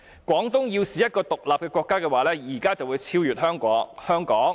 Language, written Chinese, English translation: Cantonese, "；"廣東要是一個'獨立國'的話，現在會超過香港。, ; If Guangdong were an independent state it would have overtaken Hong Kong by now